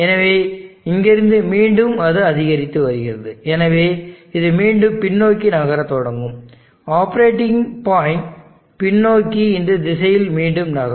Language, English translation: Tamil, So from here again it is increasing, so which means it will start moving back, the operating points starts, moving back in this direction